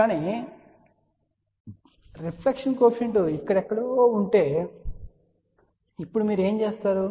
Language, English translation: Telugu, But now suppose if the reflection coefficient is somewhere here , so what you do